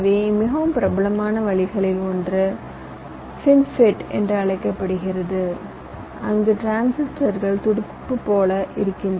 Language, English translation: Tamil, so one of the most popular ways is called fin fet, where the transistors look like fins